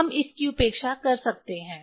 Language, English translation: Hindi, We can neglect it